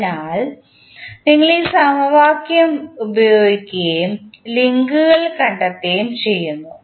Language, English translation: Malayalam, So, we use this equation and find out the links